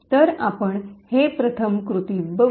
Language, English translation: Marathi, So, we will first see this in action